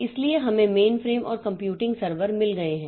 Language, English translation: Hindi, So, we have got main frames and computing servers